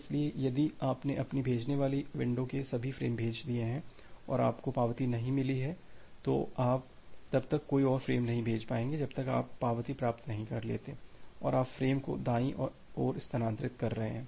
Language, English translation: Hindi, So, if you are if you have sent all the frames of your sending window and you have not received an acknowledgement, you will not be able to send any more frames any further until you are receiving an acknowledgement and you are shifting the frames to the right side